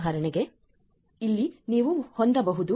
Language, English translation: Kannada, For example, over here you can have is S 10